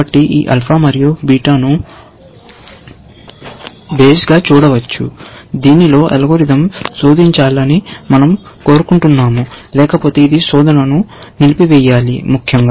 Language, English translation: Telugu, So, this alpha and beta can be seen as the bounce, within which, we want the algorithm to search; otherwise, it should abort the search or prune that below that, essentially